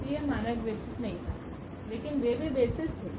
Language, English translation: Hindi, So, that was not the standard basis, but they were also the basis